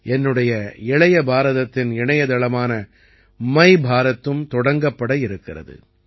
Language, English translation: Tamil, Mera Yuva Bharat's website My Bharat is also about to be launched